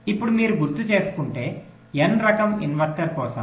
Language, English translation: Telugu, now for an n type inverter, if you recall